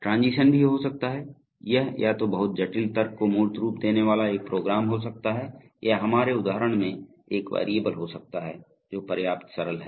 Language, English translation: Hindi, A transition can also be a, it can either be a program itself having embodying very complicated logic or it can be a simple variable like in our example which is simple enough